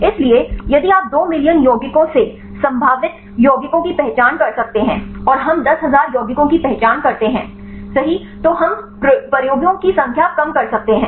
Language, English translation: Hindi, So, if you could identify the potential compounds from the two million compounds, and we identify ten thousand compounds, then we can reduce the number of experiments right